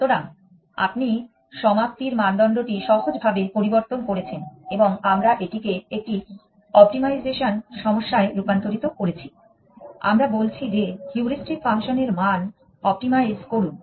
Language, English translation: Bengali, So, you have changed the termination criteria simply and we have converted this into an optimization problem, we are saying that optimize the value of heuristic function